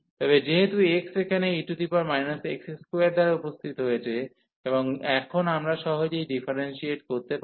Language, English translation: Bengali, But, now since x has appeared here with e power x square, and now we can easily differentiate